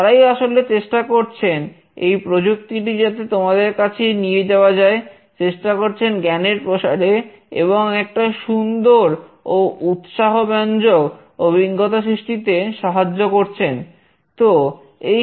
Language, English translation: Bengali, They have been actually enabling this technology to reach all of you, helping in sharing the knowledge, and making the experience really beautiful and rewarding